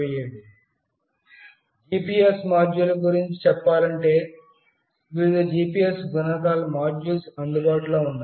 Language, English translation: Telugu, Regarding GPS module, there are various GPS modules available